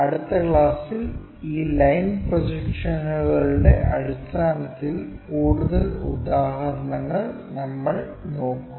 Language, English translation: Malayalam, In the next classes we will look at more examples in terms of this line projections